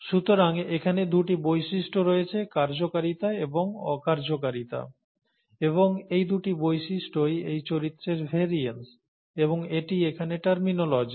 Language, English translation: Bengali, Therefore there are two traits, the functionality and non functionality and these two traits are variance of this character and that is the terminology here